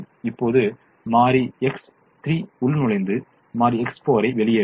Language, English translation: Tamil, now variable x three will enter and variable x four will leave